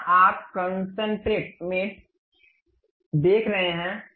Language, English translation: Hindi, Here you can see concentric mate